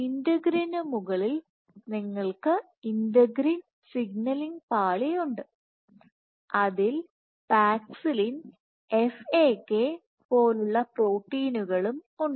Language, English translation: Malayalam, Just on top of integrin you have integrin signaling layer and here you have proteins like Paxillin and FAK